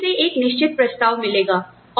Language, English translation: Hindi, They will get a certain offer, from somewhere